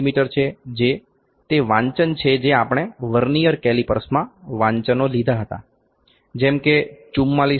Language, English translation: Gujarati, 01 mm that is the reading that we had readings that we had in Vernier calipers were like 44